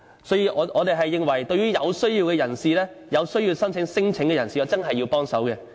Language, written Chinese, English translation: Cantonese, 所以，我們認為對於真正需要申請聲請的人士，我們一定要協助。, Therefore we consider that we should help those who are in genuine need of lodging non - refoulement claims